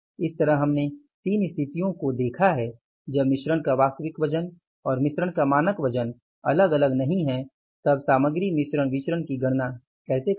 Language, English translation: Hindi, So we have seen the three situations when the actual weight of the mix and the standard weight of the mix do not differ then how to calculate the material mix variance